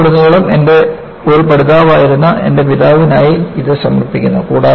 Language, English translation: Malayalam, And, this is dedicated to my father, who was a learner all through his life